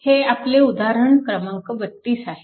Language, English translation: Marathi, So, this is your example number 12